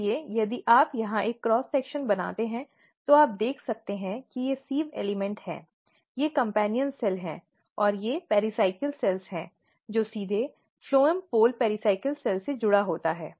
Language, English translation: Hindi, So, if you make a cross section here you can see that these are the sieve elements, these are the companion cell and these are the pericycle cells, which is directly attached with the phloem pole pericycle cells it is called